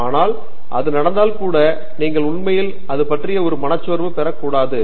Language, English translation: Tamil, But even if that happens you should not be really getting a depressed about that